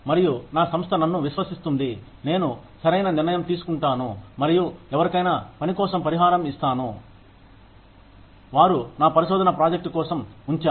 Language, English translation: Telugu, And the, my organization trusts me, that I will make the right decision, and compensate somebody adequately for the work, they put in, for my research project